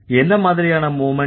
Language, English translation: Tamil, What kind of movement